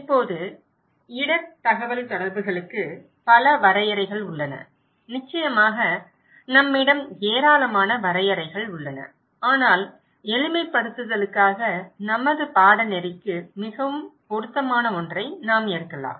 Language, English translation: Tamil, Now, this is the, there are many definitions of risk communications, of course, enormous number of definitions we have but just for simplifications, we can take one which is more relevant for our course